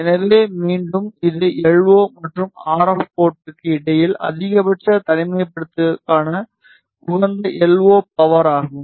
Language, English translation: Tamil, So, again this is optimum LO power for maximum isolation between LO and RF port